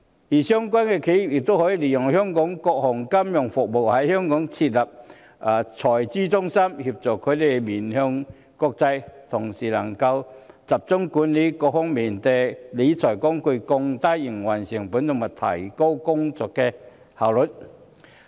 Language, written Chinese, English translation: Cantonese, 至於相關的企業，它們亦可以利用香港各項金融服務，在香港設立財資中心，協助它們面向國際，同時，讓它們可集中管理各項理財工具，降低營運成本和提高工作效率。, As regards the relevant enterprises they can take advantage of the various financial services available in Hong Kong and establish treasury centres here to help themselves go international and at the same time centralize the management of their various wealth management tools for cost reduction and higher efficiency